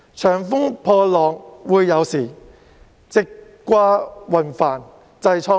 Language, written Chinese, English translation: Cantonese, 長風破浪會有時，直掛雲帆濟滄海。, With roaring winds and slowing waves well set sail for the boundless sea someday